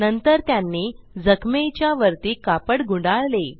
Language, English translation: Marathi, Then they tied a cloth above the wound